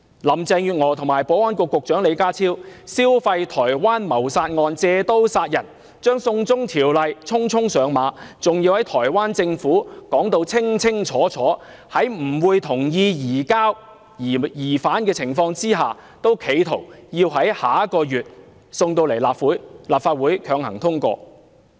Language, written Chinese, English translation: Cantonese, 林鄭月娥與保安局局長李家超消費台灣謀殺案，借刀殺人，將"送中條例"匆匆上馬，還在台灣政府清清楚楚表明不會同意移交疑犯的情況下，企圖於下月將《條例草案》提交立法會會議，強行通過。, Carrie LAM and Secretary for Security John LEE piggybacked on the homicide case in Taiwan to introduce the China extradition law hastily which is comparable to killing its target with another persons knife . Despite the Government of Taiwans clear statement that it will not agree to the surrender of the suspect the authorities attempted to submit the Bill to the meeting of the Legislative Council next month and to bulldoze the Bill through this Council